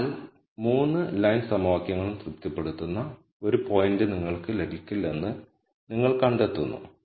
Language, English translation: Malayalam, So, you find that you cannot get a point where the all 3 lines equations are satis ed